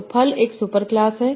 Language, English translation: Hindi, So fruit is a, so fruit is a superclass